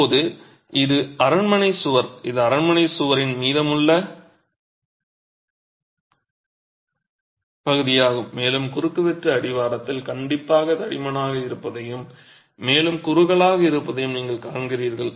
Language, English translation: Tamil, Now this is a palace wall, it is the remaining part of the palace wall and you see that the cross section is definitely thicker at the base and tapers to the top